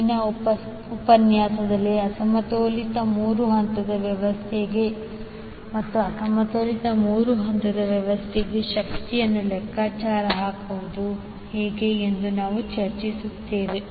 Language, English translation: Kannada, In the next session, we will discuss unbalanced three phase system and the calculation of power for the unbalanced three phase system